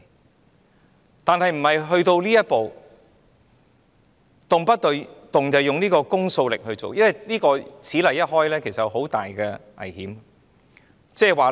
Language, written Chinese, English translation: Cantonese, 可是，這並不表示要走到這一步，動輒運用公訴力來處理，因為此例一開，即有很大的危險。, Nonetheless it does not mean that he can go so far as to hastily resort to the power to initiate indictment for there will be great danger once a precedent is set